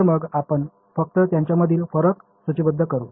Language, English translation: Marathi, So, we will just list out the differences between them